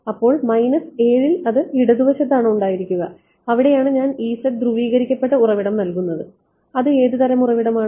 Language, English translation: Malayalam, So, at minus 7 that is at the almost at the left most part I am putting E z polarised source and what kind of a source